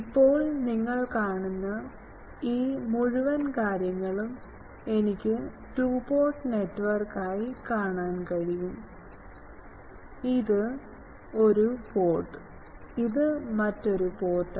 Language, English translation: Malayalam, Now, this whole thing you see I can view as a two port network; this is one port, this is another port